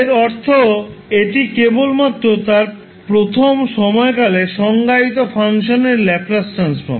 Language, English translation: Bengali, So this is basically the standard definition of our Laplace transform